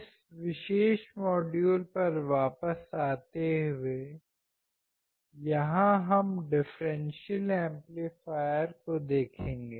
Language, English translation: Hindi, Coming back to this particular module, here we will be looking at the differential amplifier